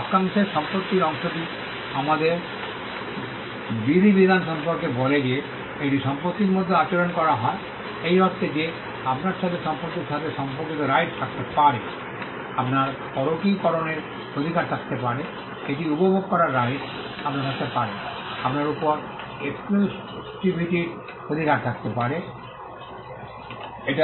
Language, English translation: Bengali, The property part of the phrase tells us about regulation that it is treated like property in the sense that you can have rights associated with property, you can have rights to alienated, you can have rights to enjoy it, you can have rights to exclusivity over it